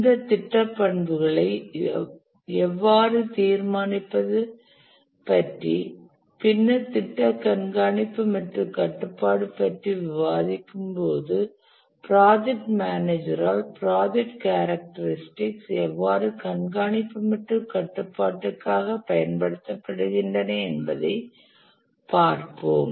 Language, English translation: Tamil, Let's look at how to determine these project characteristics and later when we discuss about project monitoring and control, we'll see that how these project attributes are actually used by the project manager for monitoring and control purposes